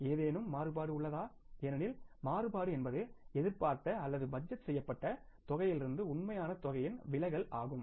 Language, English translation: Tamil, Because variance is a deviation of an actual amount from the expected or the budgeted amount